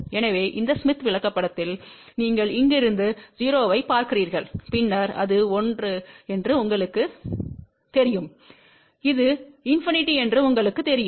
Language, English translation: Tamil, So, along this smith chart, you see from here 0 then you know it is 1 and you know it is infinity